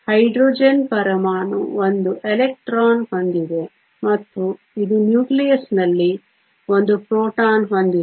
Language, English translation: Kannada, Hydrogen atom has one electron and it has one proton in the nucleus